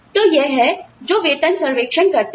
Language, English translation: Hindi, So, that is what, pay surveys do